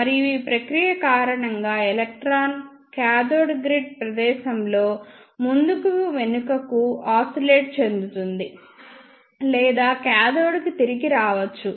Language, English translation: Telugu, And because of this process electron may oscillate back and forth in the cathode grid space or return back to the cathode